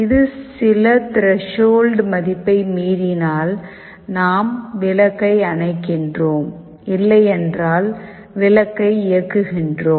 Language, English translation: Tamil, If it exceeds some threshold value we turn off the light; if not, we turn on the light